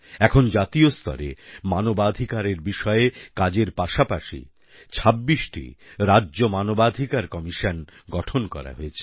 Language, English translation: Bengali, Today, with NHRC operating at the national level, 26 State Human Rights Commissions have also been constituted